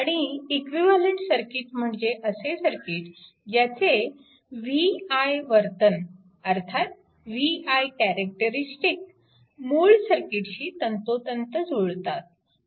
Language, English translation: Marathi, And equivalent circuit is one whose v i characteristic are identical with the original circuit